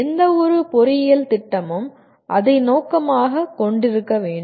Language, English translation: Tamil, That is what any engineering program should aim at, has been aiming at